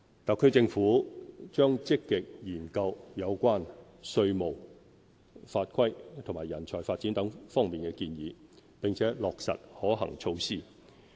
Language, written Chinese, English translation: Cantonese, 特區政府將積極研究有關稅務、法規及人才發展等方面建議，並落實可行措施。, The Government will actively consider the recommendations on taxation laws and regulations nurturing talent etc and implement the feasible measures